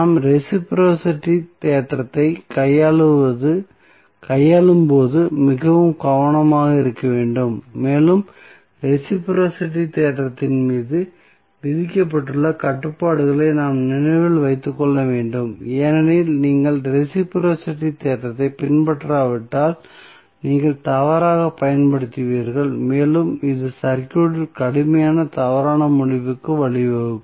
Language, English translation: Tamil, So, we have to be very careful when we deal with the reciprocity theorem and we have to keep remembering the restrictions which are imposed on the reciprocity theorem because if you do not follow then the reciprocity theorem you will use wrongly and that may lead to a serious erroneous result in the circuit